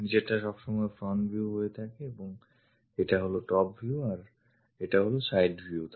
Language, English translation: Bengali, The bottom one always be front view and this is the top view and this is the side view